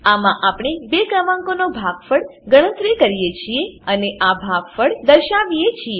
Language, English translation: Gujarati, In this we calculate the product of two numbers and display the product